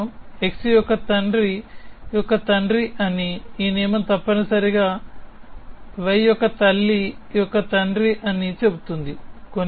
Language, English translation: Telugu, This rule says that x is a father of father of y, this rule says that x is a father of mother of y essentially